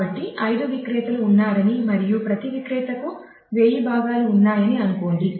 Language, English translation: Telugu, So, let us say there are 5 vendors and each vendor has about 1000 parts